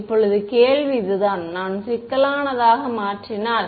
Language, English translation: Tamil, Now the question is this, if we make e z to be complex